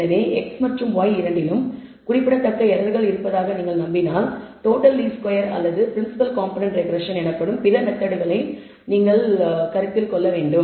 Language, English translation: Tamil, So, this goes if on the other hand if you believe both x and y contain signif icant error, then perhaps you should consider other methods called total least squares or principal component regression that we will talk about later